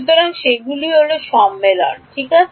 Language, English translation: Bengali, So, those are the conventions, right